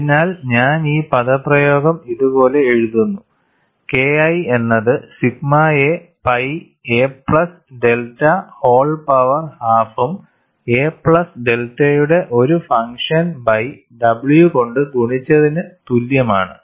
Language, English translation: Malayalam, So, I would write this expression as K 1 equal to sigma multiplied by pi a plus delta whole power half and a function of a plus delta by w